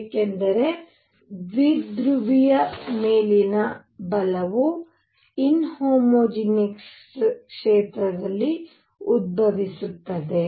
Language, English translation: Kannada, Because the force on a dipole arises in an inhomogeneous field